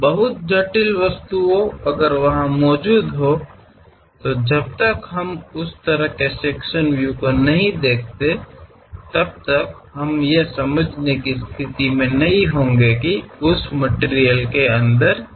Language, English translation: Hindi, Very complicated objects if they are present; unless we show that bent kind of sectional views we will not be in a position to understand what is there inside of that material